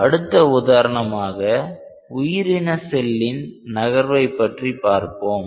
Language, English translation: Tamil, Next example is to track the dynamics of a biological cell